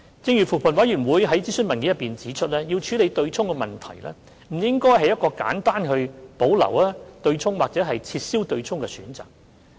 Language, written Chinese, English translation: Cantonese, 正如扶貧委員會在諮詢文件中指出，要處理對沖問題，不應該是一個簡單地去保留或撤銷的選擇。, As pointed out by the Commission on Poverty in the consultation document we should not make a simple choice of retaining or abolishing the offsetting mechanism when addressing the issue